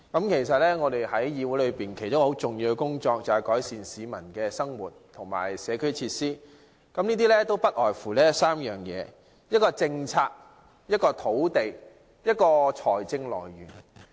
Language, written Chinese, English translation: Cantonese, 其實，議會其中一項很重要的工作是改善市民的生活和社區設施，這項工作涉及3方面，包括政策、土地及財政來源。, Actually a very important task of this Council is to improve peoples lives and community facilities and this task involves three aspects that is policies land and financial sources